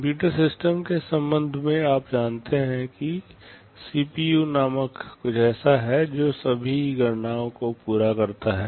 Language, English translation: Hindi, With respect to a computer system, so you may know that there is something called CPU that carries out all computations or calculations